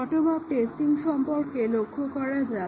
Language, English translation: Bengali, Let us look at the bottom up testing